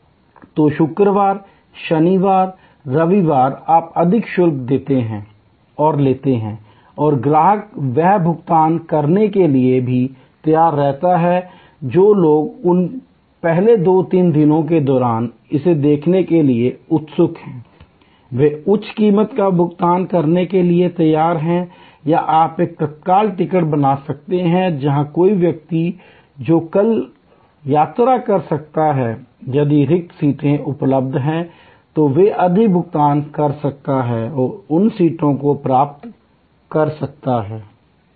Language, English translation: Hindi, So, Friday, Saturday, Sunday you charge higher and customer's are ready to pay that, people who are eager to see it during those first two three days, they are prepared to pay higher price or you can create a tatkal ticket, where somebody who are to travel tomorrow can pay higher and get those seats if there available vacant